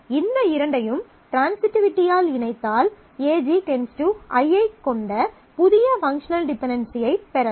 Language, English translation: Tamil, So, if we combine these two by transitivity, then we can get a new functional dependency which has AG functionally determines I